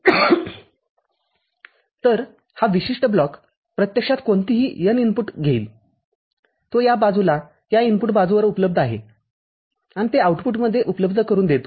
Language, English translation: Marathi, So, this particular block actually takes any of the n inputs, which is present at this site at the input site and makes it available to the output